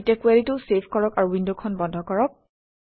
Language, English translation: Assamese, Let us now save the query and close the window